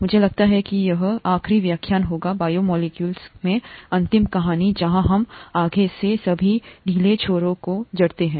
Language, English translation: Hindi, I think this would be the last lecture last story in the biomolecules where we tie up all the loose ends and so on so forth